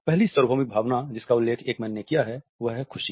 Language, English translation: Hindi, The first universal emotion which has been mentioned by Ekman is happiness